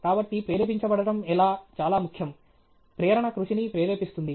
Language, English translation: Telugu, So, how to stay motivated is very, very important; motivation propels hard work